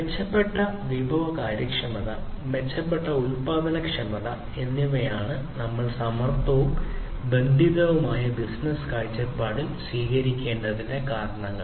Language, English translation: Malayalam, So, improved resource efficiency; improved productivity are the reasons why we need to take smart and connected business perspective